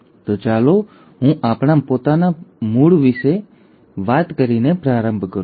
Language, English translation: Gujarati, So let me start by talking about our own origin